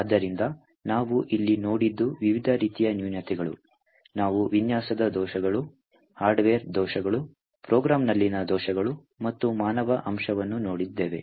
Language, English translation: Kannada, So, what we have seen over here are different types of flaws, we have seen design flaws, hardware flaws, bugs in the program and the human factor